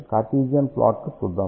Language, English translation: Telugu, Let us see the Cartesian plot